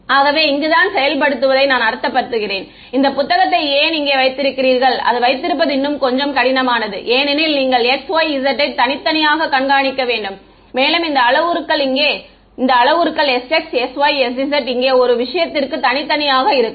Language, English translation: Tamil, So this is where I mean implementation why is here the book keeping is a little bit more tedious because you have to keep track of x y z separately and this parameters s x s y s z separately for each thing over here ok